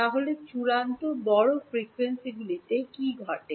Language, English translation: Bengali, Then what happens at extremely large frequencies